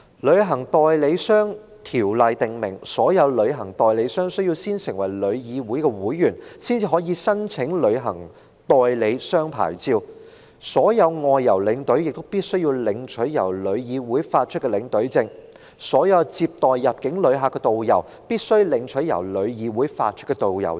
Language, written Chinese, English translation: Cantonese, 《旅行代理商條例》訂明，所有旅行代理商須先成為旅議會會員，才可申請旅行代理商牌照；所有外遊領隊必須領取由旅議會發出的領隊證；所有接待入境旅客的導遊必須領取由旅議會發出的導遊證。, The Travel Agents Ordinance requires all travel agents to be members of TIC before they are eligible to apply for a travel agents licence; all tour escorts leading outbound tours must obtain a Tour Escort Pass issued by TIC; and all tourist guides receiving visitors to Hong Kong must have a valid Tourist Guide Pass issued by TIC